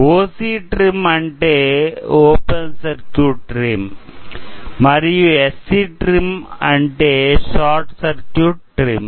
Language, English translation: Telugu, So, OC trim means Open Circuit trim and SC trim means Short Circuit trim